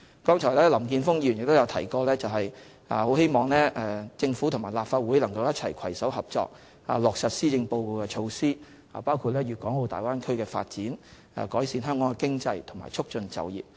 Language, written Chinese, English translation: Cantonese, 剛才林健鋒議員提到希望政府和立法會能夠攜手合作，落實施政報告的措施，包括粵港澳大灣區的發展，改善香港的經濟和促進就業。, Just now Mr Jeffrey LAM expressed his wish for cooperation between the Government and the Legislative Council to implement the initiatives proposed in the Policy Address including the development of the Bay Area so as to improve the economy of Hong Kong and promote employment